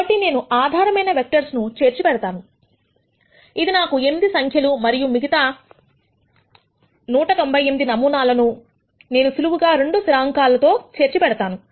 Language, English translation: Telugu, So, I store 2 basis vectors which gives me 8 numbers and then for the remaining 198 samples, I simply store 2 constants